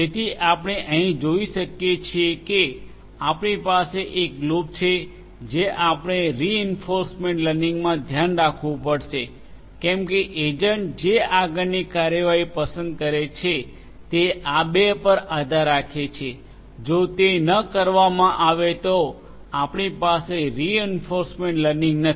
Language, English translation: Gujarati, So, you see even if we have a loop over here it is it we have to keep in mind in reinforcement learning that the next course of action that the agent will choose has to be dependent on these two; if that is not done then you know you do not have the reinforcement learning